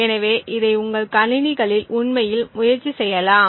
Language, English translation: Tamil, So, you can actually try this out on your machines